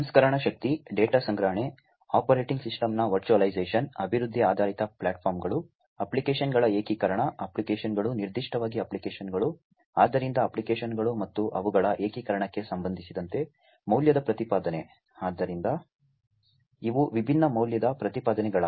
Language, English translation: Kannada, Value proposition with respect to the processing power, data storage, virtualization of the operating system, development oriented platforms, integration of applications, applications you know specifically the applications, so applications and their integration essentially; so these are the different value propositions